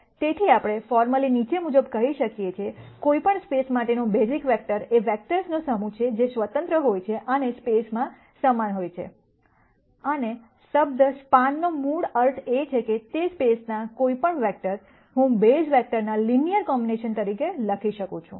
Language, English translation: Gujarati, 4 So, this we can formally say as the following, basis vectors for any space are a set of vectors that are independent and span the space and the word span ba sically means that, any vector in that space, I can write as a linear combination of the basis vectors